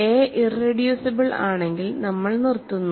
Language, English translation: Malayalam, If a is irreducible, we stop